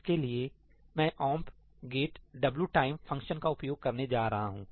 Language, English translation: Hindi, For that, I am going to use omp get wtime